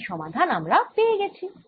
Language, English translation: Bengali, we've found the solution